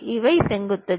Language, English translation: Tamil, These are the vertices